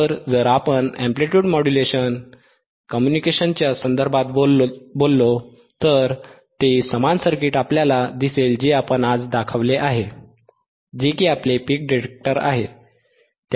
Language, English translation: Marathi, So, if we talk about amplitude modulation communications, then you will see similar circuit what we have shown today, which is your peak detector, which is are peak detector